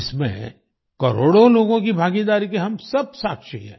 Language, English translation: Hindi, We are all witness to the participation of crores of people in them